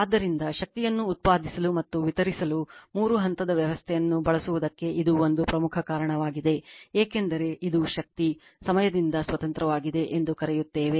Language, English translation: Kannada, So, this is one important reason for using three phase system to generate and distribute power because of your, this is power what you call independent of the time